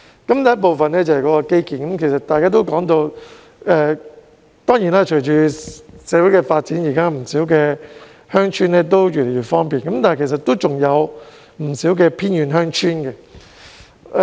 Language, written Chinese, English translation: Cantonese, 第一部分是基建，大家也提到，隨着社會的發展，現在不少鄉村也越來越方便，但其實還有不少偏遠鄉村的。, The first part concerns infrastructure . As mentioned by Members many villages have become more and more accessible with social development . But actually many villages are still located in remote areas